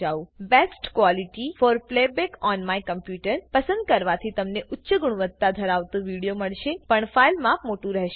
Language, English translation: Gujarati, Choosing Best quality for playback on my computer will give a high quality video but with a large file size